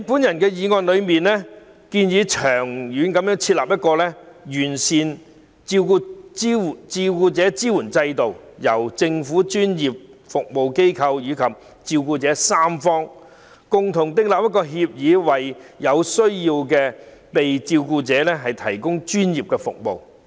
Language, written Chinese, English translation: Cantonese, 我的議案建議長遠設立完善的照顧者支援制度，由政府、專業服務機構及照顧者三方共同訂立照顧服務協議，為有需要的被照顧者提供專業服務。, My motion proposes to set up a comprehensive carer support system in the long run with the formulation of care service agreement by the three parties namely the Government professional service organizations and carers to provide professional service for those in need of care